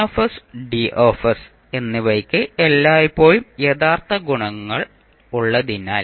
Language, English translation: Malayalam, If as Ns and Ds always have real coefficients